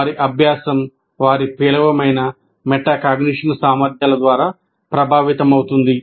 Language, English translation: Telugu, Their learning is influenced by their poor metacognition abilities